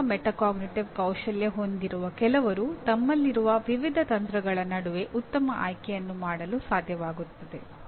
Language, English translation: Kannada, Some people with good metacognitive skills are able to make a better choice between the various strategies that I have